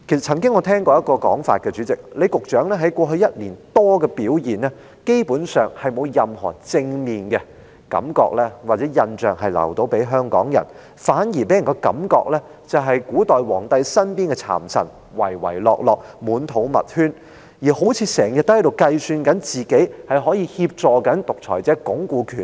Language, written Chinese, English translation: Cantonese, 主席，我曾聽過一種說法，李局長在過去1年多以來，基本上沒有留給香港人任何正面的感覺或印象，反而令人一再聯想到古代皇帝身邊的讒臣，唯唯諾諾，滿肚密圈，時刻都好像在計算自己可以如何協助獨裁者鞏固權力。, Chairman I have heard the suggestion that basically Secretary LEE has not brought any positive feelings or impressions to Hong Kong people in the past year or more but rather repeatedly put people in mind of the slanderous officials in ancient times who were servile to the emperor for ulterior purposes and always seemed to be contemplating how to help a dictator consolidate power . He has made people feel so bad about him